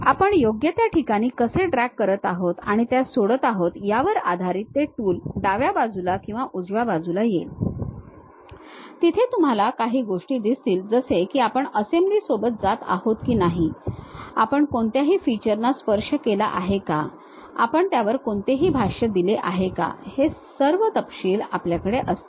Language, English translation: Marathi, That tool also comes either on the left side or right side based on how we are dragging and dropping at this suitable location, where you will see some of the things like whether we are going with assemblies, whether we have touched any features, whether we have given any annotation, all these details we will be having it